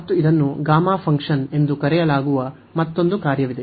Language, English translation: Kannada, And there is another function it is called gamma function